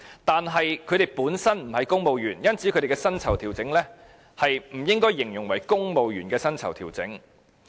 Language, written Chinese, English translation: Cantonese, 但是，他們本身不是公務員，因此，他們的薪酬調整不應該形容為"公務員薪酬調整"。, Nevertheless they are not civil servants and so their pay adjustment should not be described as civil service pay adjustment